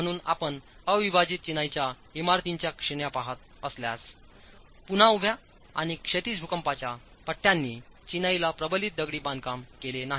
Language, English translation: Marathi, So, if you were looking at categories of unreinforced masonry buildings, again, the vertical and horizontal seismic bands do not make the masonry or reinforced masonry